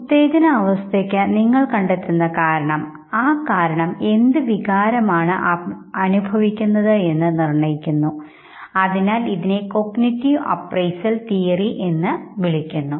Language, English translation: Malayalam, And this state of arousal the reason that you give, that reason determines what emotion will be experienced and therefore it is called cognitive appraisal theory